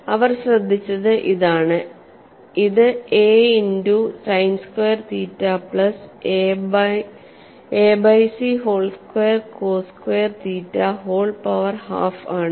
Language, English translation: Malayalam, What they have noticed was that l is nothing but a multiplied by sign squared theta plus a divided by c whole squared cos squared theta whole power half